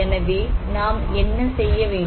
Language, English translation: Tamil, So, what we need to do